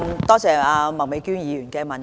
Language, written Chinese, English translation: Cantonese, 多謝麥美娟議員的補充質詢。, I thank Ms Alice MAK for her supplementary question